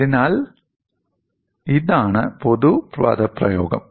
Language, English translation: Malayalam, So, this is the generic expression